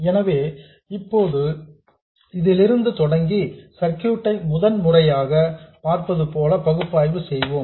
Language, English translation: Tamil, So, let's now start from this and analyze this circuit as though we are seeing it for the first time